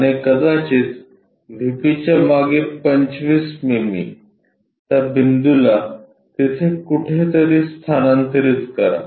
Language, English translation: Marathi, And 25 mm behind VP may be this point, transfer that point somewhere there